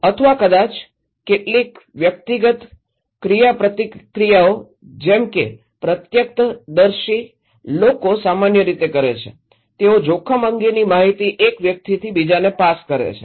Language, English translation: Gujarati, Or maybe, some personal interactions like eyewitness people generally do, they pass the informations about risk from one person to another